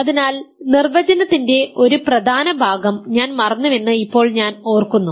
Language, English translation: Malayalam, So, actually now I will remember I forgot an important part of the definition